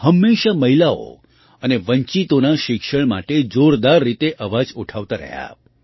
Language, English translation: Gujarati, She always raised her voice strongly for the education of women and the underprivileged